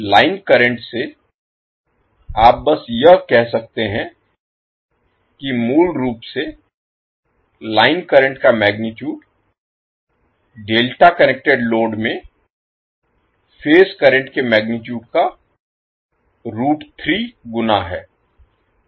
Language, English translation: Hindi, So from the line currents you can simply say that the magnitude of the line current is root 3 times the magnitude of the phase current in delta connected load